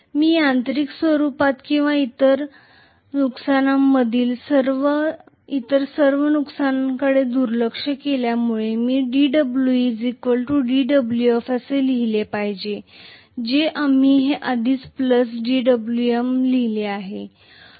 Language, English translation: Marathi, If I just neglect all the other losses in mechanical form or core losses and so on, I should have d W e equal to d W f we wrote this earlier plus d W M